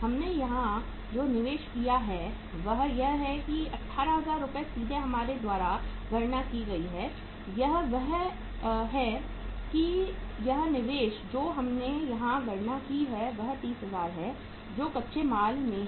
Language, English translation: Hindi, The investment we have worked out here is that is 18,000 Rs directly that we have calculated here is that is this investment we have calculated here is that is 30,000 that is in the raw material